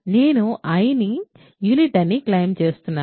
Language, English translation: Telugu, I claim i is a unit